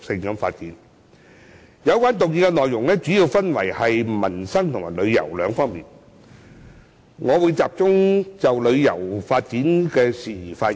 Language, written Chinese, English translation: Cantonese, 有關議案內容主要分為民生和旅遊兩方面，我會集中就旅遊發展的事宜發言。, The details of this motion are mainly divided into two aspects namely peoples livelihood and tourism and I will focus my speech on tourism development